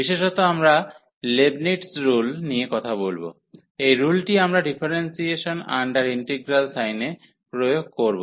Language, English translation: Bengali, So, in particular we will be talking about Leibnitz rule, so that is rule where we apply for differentiation under integral sign